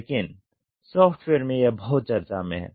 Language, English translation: Hindi, But this is very much talked about in software